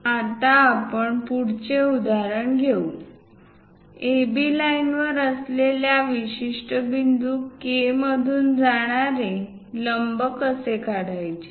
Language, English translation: Marathi, Let us take next example, how to draw a perpendicular line passing through a particular point K, which is lying on AB line